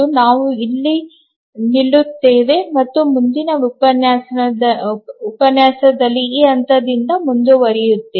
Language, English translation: Kannada, We will stop here and we will continue the next lecture at from this point